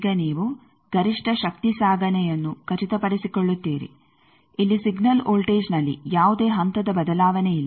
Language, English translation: Kannada, Now, you ensure the maximum power transport, no phase shift in signal voltage here also